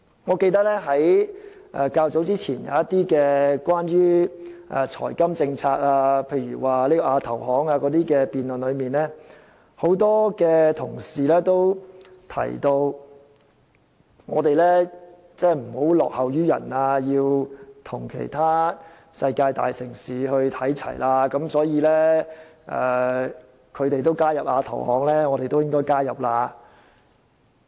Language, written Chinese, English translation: Cantonese, 我記得較早前，當我們談到一些財金政策時，例如有關亞洲基礎設施投資銀行的辯論，很多同事均提出香港不能落後於人，而是要與其他世界大城市看齊，所以別人加入亞投行，香港也應該加入。, I remember that some time ago when we discussed some financial and monetary policies such as in the debate on the Asian Infrastructure Investment Bank AIIB many colleagues opined that Hong Kong must not lag behind others and that we have to be on a par with other major cities in the world . Therefore they said that when others have joined AIIB we should follow suit